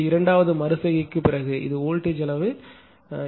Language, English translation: Tamil, This is that after second iteration this is the voltage magnitude right